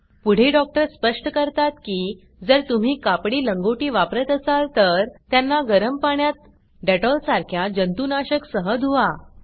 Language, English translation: Marathi, The doctor further explains that if you using cloth diapers, wash them in hot water with a disinfectant like dettol